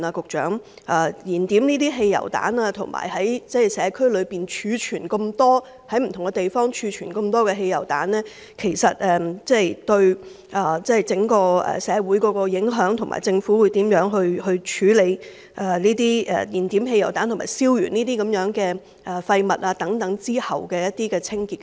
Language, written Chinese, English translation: Cantonese, 我想問局長，燃點這些汽油彈及在社區不同地方儲存大量汽油彈，對整個社區有何影響，以及政府會如何清理在汽油彈燃點後及燃燒這些廢物後的環境？, Regarding the burning of petrol bombs and the storage of a large number of petrol bombs in various locations in the community may I ask the Secretary what impact this will have on the community as a whole and what actions the Government will take to clean up the environment where petrol bombs are ignited and garbage is burnt?